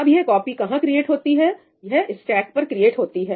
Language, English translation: Hindi, So, again, where is this copy created – it’s created on the stack